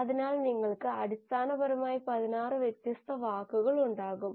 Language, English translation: Malayalam, So you essentially, will have 16 different words